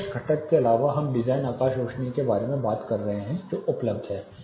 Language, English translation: Hindi, Apart from the direct component we have been talking about the design sky illuminants which is available